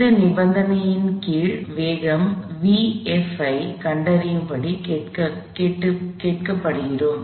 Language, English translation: Tamil, We are asked to find the velocity v f under this condition